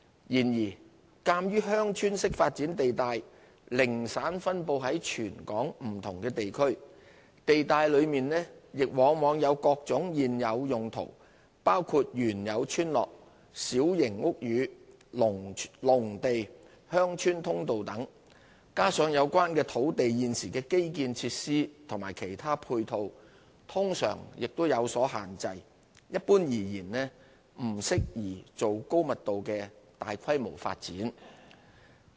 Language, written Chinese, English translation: Cantonese, 然而，鑒於"鄉村式發展"地帶零散分布在全港不同地區，地帶內亦往往有各種現有用途，包括原有村落、小型屋宇、農地、鄉村通道等，加上有關土地現時的基建設施和其他配套通常亦有所限制，一般而言並不適宜作高密度的大規模發展。, However given that V zones are scattered across the territory and that there are various existing land uses including existing villages small houses agricultural land village access roads etc coupled with constraints in the existing infrastructural and other ancillary facilities they are generally not suitable for large - scale high - density development